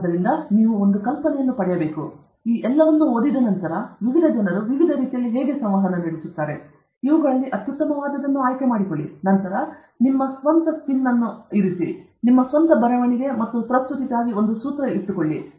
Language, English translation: Kannada, So, you should get an idea, and after reading all this, you will get an idea how different people communicate in different ways, and pick and choose the best among all these, and then put your own spin, and come out with your own formula okay for writing and presenting